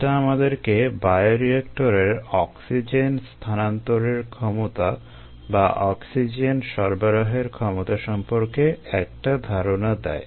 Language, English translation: Bengali, that gives us an idea of the oxygen transfer capacity or oxygen supply capacity of the bioreactor